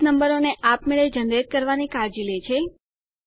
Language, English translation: Gujarati, Base will take care of auto generating the number